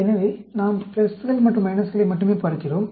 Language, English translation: Tamil, So, we look at only the pluses and minuses